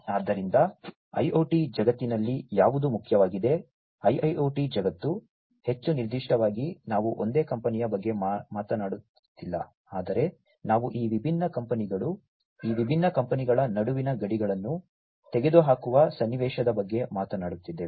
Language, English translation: Kannada, So, what is important in the IoT world; IIoT world, more specifically, is we are talking about not a single company, but we are talking about a situation a scenario, where these different companies, the borders between these different companies are going to be removed